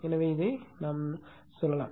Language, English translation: Tamil, So, this we also can represent